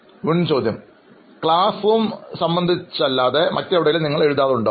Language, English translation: Malayalam, Other than the classroom environment, do you write anywhere else